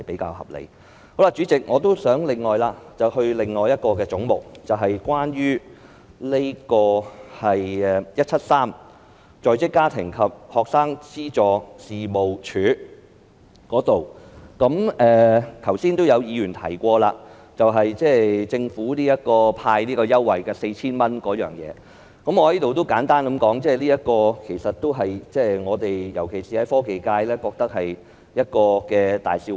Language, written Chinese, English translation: Cantonese, 代理主席，我亦想談論另一個總目，即是"總目 173― 在職家庭及學生資助事務處"，剛才亦有議員提及，政府派發 4,000 元，我想在此簡單說一說，我們——尤其是科技界——認為這是個大笑話。, Deputy Chairman I also wish to talk about another head which is Head 173―Working Family and Student Financial Assistance Agency . Some Members have also mentioned the disbursement of a cash handout of 4,000 by the Government just now and I would like to talk about it briefly . We―especially those from the technology sector―consider it a big joke